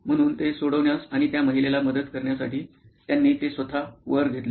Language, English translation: Marathi, So, they took that upon themselves to solve it and to help the lady